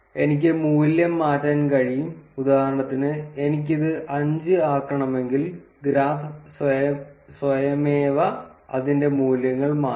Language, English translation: Malayalam, I can change the value, if I want for instance if I want to make it as five, the graph would automatically change its values